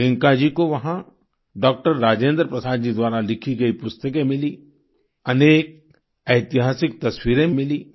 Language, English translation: Hindi, There, Priyanka ji came across many books written by Dr Rajendra Prasad and many historical photographs as well